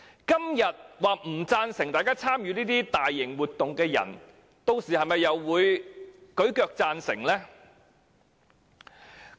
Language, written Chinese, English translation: Cantonese, 今天說不贊成參與這些大型活動的人，屆時又會否舉腳贊成呢？, Will people who say that they disapprove of participation in these major events today voice approval by then?